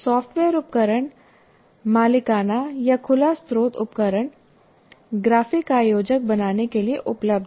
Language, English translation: Hindi, And software tools, proprietary or open source tools are available for creating some graphic organizers